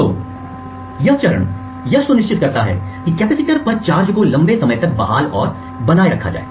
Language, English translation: Hindi, So, this refreshing phase ensures that the charge on the capacitance is restored and maintained for a longer period